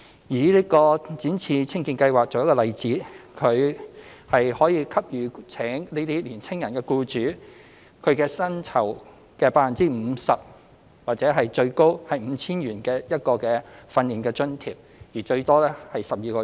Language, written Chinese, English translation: Cantonese, 以"展翅青見計劃"為例，計劃給予聘請年輕人的僱主其薪酬的 50% 或最高 5,000 元的訓練津貼，最多12個月。, Taking YETP as an example the amount of the training allowances payable to employers engaging young people under the Programme is 50 % of their wages or capped at 5,000 for a maximum period of 12 months